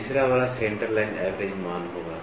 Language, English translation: Hindi, The third one is going to be the Centre Line Average